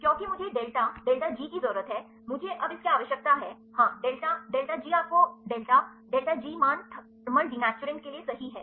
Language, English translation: Hindi, Because I need the delta delta G this I now need, yes delta delta G you get the delta delta G values right for the thermal denaturants